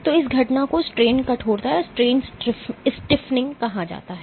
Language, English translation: Hindi, So, this phenomenon is called strain stiffening